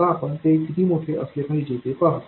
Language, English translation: Marathi, Now we will see exactly how large they have to be